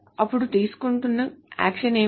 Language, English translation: Telugu, So what is the action that can be taken